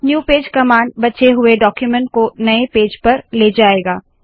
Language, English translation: Hindi, New page command, takes the rest of the document to a new page